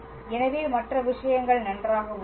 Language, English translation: Tamil, So, the other things are fine